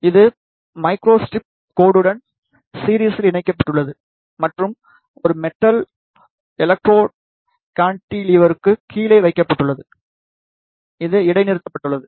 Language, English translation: Tamil, It is connected in series with the micro strip line and a metal electrode is placed below the cantilever which is suspended